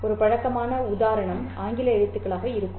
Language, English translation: Tamil, I mean, a familiar example would be the English alphabet